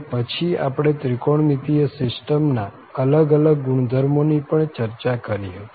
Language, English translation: Gujarati, And then, we have also discussed various properties of such a trigonometric system